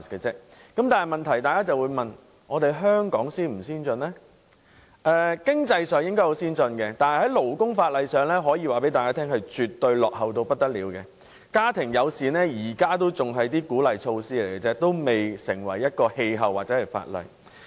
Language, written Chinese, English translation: Cantonese, 在經濟上，香港應屬先進地區，但在勞工法例上則可謂落後得不得了，即使是家庭友善政策也只是鼓勵措施而已，尚未成氣候或法例。, Hong Kong is advanced economically but terribly backward in terms of labour legislation . Family - friendly policies only serve as an incentive but yet to see full development or comprehensive legislation